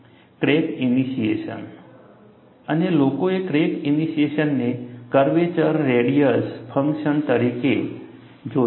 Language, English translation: Gujarati, And, people have looked at crack initiation as a function of radius of curvature